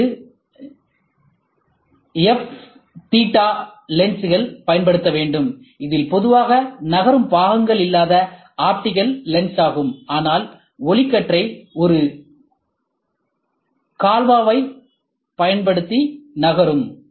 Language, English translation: Tamil, They go for f theta lenses, which is typically optical lens where there is no moving parts, but the beam can be moved using a galvo